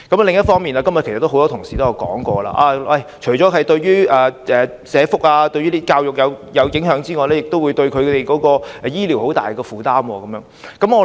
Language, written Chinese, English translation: Cantonese, 另一方面，今天也有很多同事提到，除了對社福和教育構成影響外，新移民亦對醫療服務造成很大負擔。, On the other hand many fellow colleagues have also opined that apart from the impact on social welfare and educational resources new immigrants have also created a very heavy burden on health care services